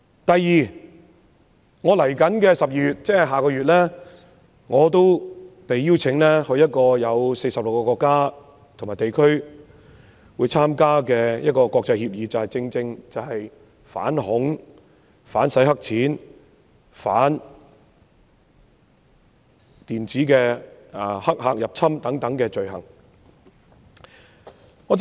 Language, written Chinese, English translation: Cantonese, 第二，我將在12月應邀參加一個有46個國家和地區出席的國際會議，會議正是關於反恐、反洗黑錢、反電子黑客入侵等罪行的協議。, Second I will accept the invitation to attend an international conference in December which will be attended by representatives from 46 countries and regions . The conference is about agreements involving crimes relating to counter - terrorism anti - money laundering and counter - hackers attacks and so on